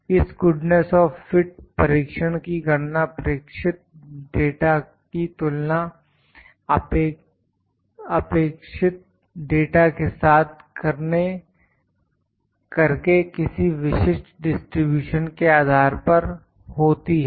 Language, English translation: Hindi, Calculation of this goodness of fit test is by comparison of the observed data with a data expected based upon particular distribution